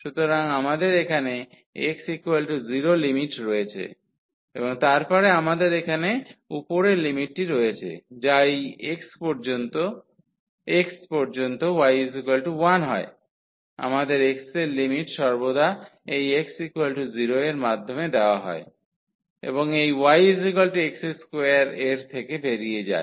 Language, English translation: Bengali, So, here we have x is equal to 0 as the limit and then we have the upper limit here which is up to this x y is equal to 1 we have the limit of x always enters through this x is equal to 0 and leaves through this y is equal to x square; that means, x is equal to square root y